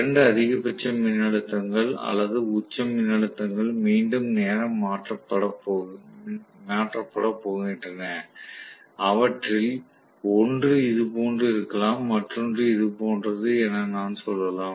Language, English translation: Tamil, So, the two maximum voltages or peak voltages are going to be time shifted again, so I might say, one of them probably is like this, the other one is somewhat like this